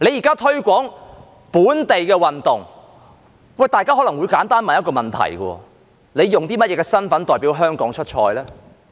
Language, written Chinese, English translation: Cantonese, 在推廣本地運動時，大家可能會問一個簡單問題：運動員用甚麼身份代表香港出賽呢？, When promoting local sports people may ask a simple question In what capacity do athletes represent Hong Kong in competitions?